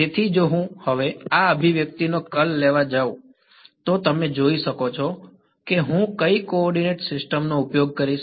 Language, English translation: Gujarati, So, if I now go to take the curl of this expression, you can sort of see what coordinate system will I use